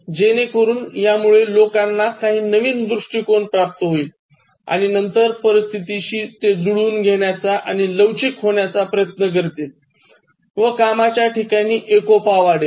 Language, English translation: Marathi, So that will actually make people gain some new perspective and then try to adapt and be flexible and then work for the harmony of the workplace